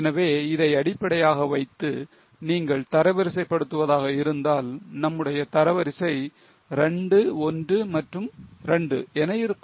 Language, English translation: Tamil, So, if you go for a rank based on this, our rank will be 2, 1 and 2